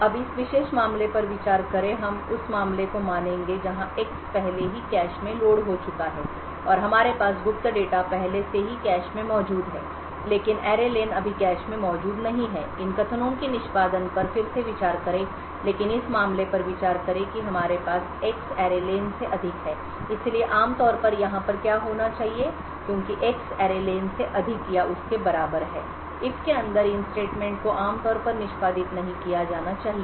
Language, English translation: Hindi, Now consider the this particular case we would assume the case where X has already been loaded into the cache and we have the secret data already present in the cache but the array len is not present in the cache now consider again the execution of these statements but consider the case that we have X is greater than array len so typically in what should happen over here is that since X is greater than or equal to array len these statements inside the if should not be executed so typically since X is greater than array len the statements inside this if condition should not be executed